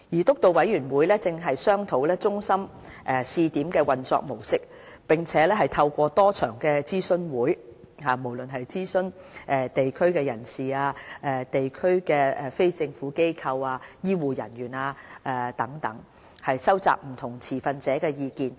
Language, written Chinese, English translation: Cantonese, 督導委員會正商討中心試點的運作模式，並透過多場諮詢會，諮詢地區人士、地區非政府機構及醫護人員等，收集不同持份者的意見。, The Steering Committee is discussing the operation mode of the pilot DHC . In an effort to solicit views from stakeholders it has conducted several consultation sessions to collect views from local residents NGOs serving the district and health care personnel